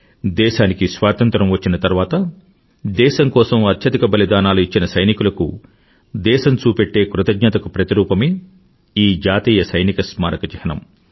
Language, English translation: Telugu, The National Soldiers' Memorial is a symbol of the nation's gratitude to those men who made the supreme sacrifice after we gained Independence